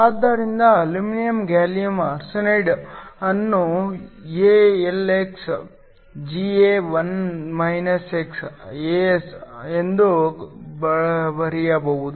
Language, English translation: Kannada, So, aluminum gallium arsenide can be written AlxGa1 xAs